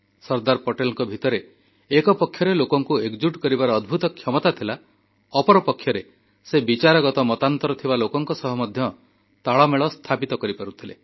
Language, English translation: Odia, On the one hand Sardar Patel, possessed the rare quality of uniting people; on the other, he was able to strike a balance with people who were not in ideological agreement with him